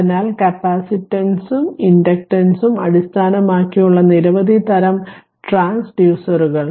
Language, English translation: Malayalam, So, several types of transducers are based on capacitance and inductance